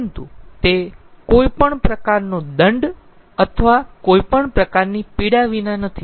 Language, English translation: Gujarati, but that is not without any kind of penalty or any kind of pain